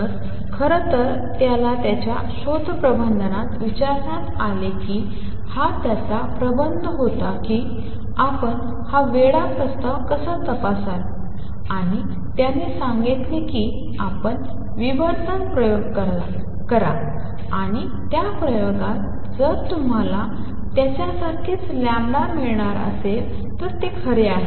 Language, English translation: Marathi, So, in fact, he was asked in his thesis defense this was his thesis how would you check this crazy proposal and he said you do diffraction experiments, and in that experiment if you get the lambda to be the same as obtained by him then it is true